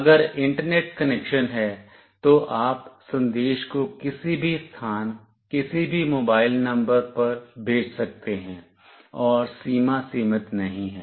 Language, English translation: Hindi, If internet connection is there, you can send the message to any place, any mobile number and range is not limited